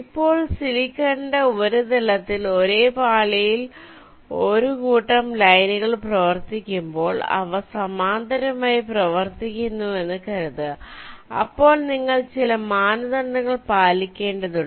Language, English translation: Malayalam, like this, let say now means on the surface of the silicon, when you run a set of lines on the same layer, let say they are running in parallel, then you have to satisfy certain criteria